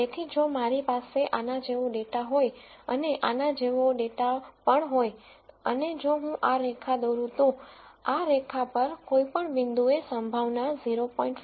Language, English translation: Gujarati, So, if I had data like this and data like this and if I draw this line any point on this line is the probability equal to 0